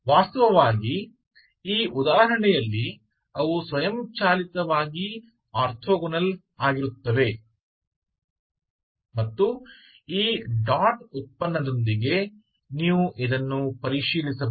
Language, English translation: Kannada, And so happens here that in this example they are actually automatically they are orthogonal so that you can verify with this dot product